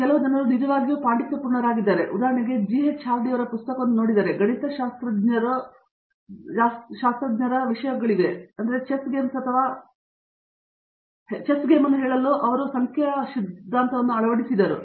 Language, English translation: Kannada, There are some people who want actually look the most scholarly and like for example, if you look at what, if you look at G H Hardy's book, an apology of a mathematician, he actually loads his number theory being applied to let’s say chess games or something like that